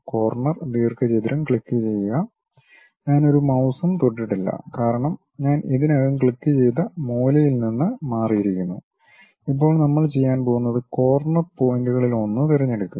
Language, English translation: Malayalam, Click Corner Rectangle; I did not touched any mouse because I already clicked that corner moved out of that now what we are going to do is, pick one of the corner points